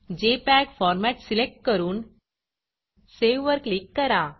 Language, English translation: Marathi, I will select the JPEG format and Click Save